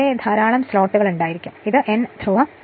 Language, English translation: Malayalam, There may be many slots are there and this is your N pole